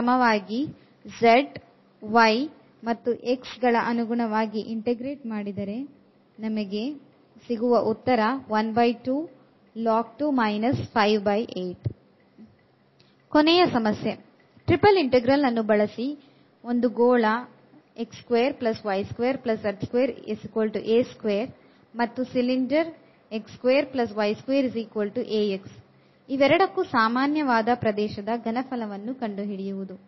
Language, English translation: Kannada, The last problem so, using this triple integral we want to find the volume which is common to this is sphere